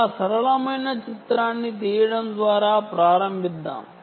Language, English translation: Telugu, let us start by taking a very simple picture